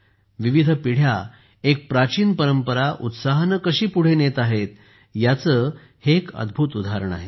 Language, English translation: Marathi, This is a wonderful example of how different generations are carrying forward an ancient tradition, with full inner enthusiasm